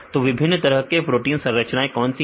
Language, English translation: Hindi, So, what are the different types of protein structures